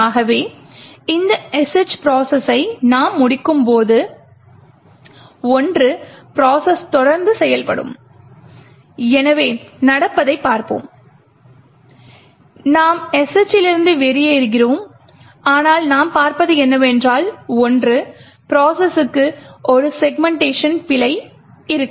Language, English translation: Tamil, So when we terminate this sh process what we see is that the one process will continue to execute, so let us see this happening so we exit the sh but what we will see is that the one process will have a segmentation fault okay